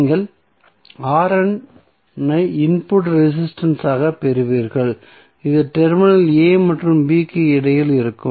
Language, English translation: Tamil, So, you will get R n as a input resistance which would be between terminal a and b